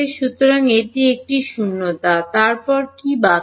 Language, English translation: Bengali, So, it is a vacuum then what is left